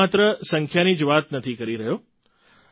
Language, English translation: Gujarati, And I'm not talking just about numbers